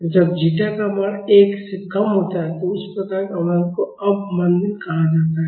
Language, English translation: Hindi, And, when the value of zeta is less than 1, that type of damping is called under damping